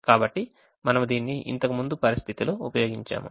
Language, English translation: Telugu, so we have used this in ah in an earlier situation